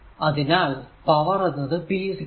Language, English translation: Malayalam, So, p is equal to v i